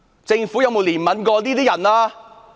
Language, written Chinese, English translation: Cantonese, 政府有否憐憫過這些人？, Does the Government take pity on those people?